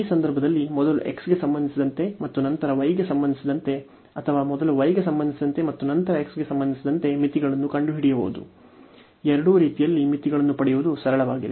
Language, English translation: Kannada, So, in these cases finding the limits whether first with respect to x and then with respect to y or with respect to y first, and then with respect to x, in either way it is simple to get the limits